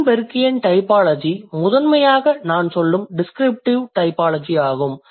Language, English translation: Tamil, So, Greenbergian typology, which is primarily the descriptive typology, I would say